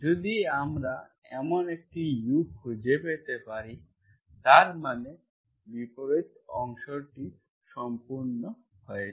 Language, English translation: Bengali, If we can do that, we can find such a U, it is called, then it is, that means the converse part is done